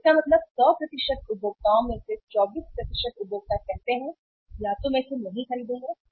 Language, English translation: Hindi, So it means out of the 100% consumers, 24% of the consumer say that either I will not buy it